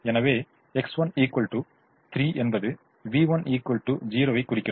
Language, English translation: Tamil, so x one equal to three implies v one is equal to zero